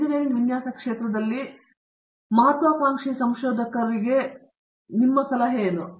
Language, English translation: Kannada, What is your advice to students who are aspiring to be you know researchers in the field of engineering design